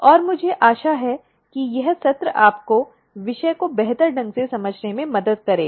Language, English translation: Hindi, And, I hope that this session will help you in understanding the topic much better